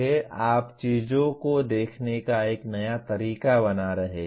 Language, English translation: Hindi, You are creating a new way of looking at things